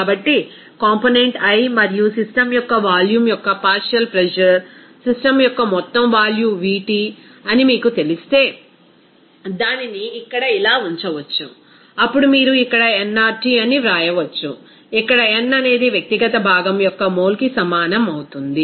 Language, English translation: Telugu, So it can be actually retained as like this here if you know that partial pressure of component i and volume of the system, total volume of the system is Vt, then you can write here nRT, here n will be equal to mole of individual component and t will be here total temperature of the system